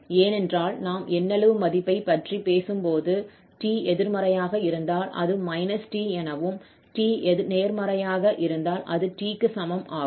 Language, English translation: Tamil, So, we can break this into two portion because when we are talking about the absolute value so if t is negative this is like minus t and when t is positive this is equal to t